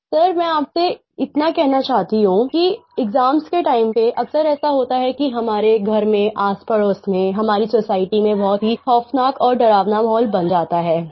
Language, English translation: Hindi, "Sir, I want to tell you that during exam time, very often in our homes, in the neighbourhood and in our society, a very terrifying and scary atmosphere pervades